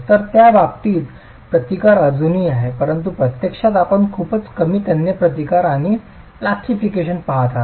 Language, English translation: Marathi, But in reality, you're looking at very low tensile resistance and plastication